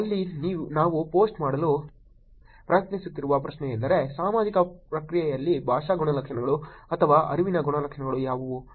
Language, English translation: Kannada, Here the question that we are trying to post was; what are the linguistic attributes or characterize cognitive in social response process